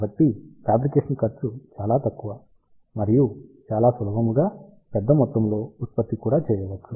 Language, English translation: Telugu, So, fabrication cost is very low and also mass production can be done very easily